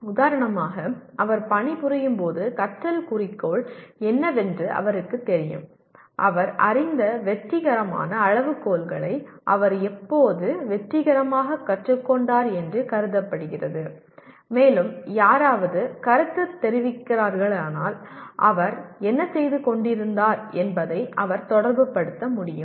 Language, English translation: Tamil, For example when he is working he knows what the learning goal is and when is he considered to have successfully learnt that success criteria he is aware of and also if somebody is giving feedback he can relate it to what he was doing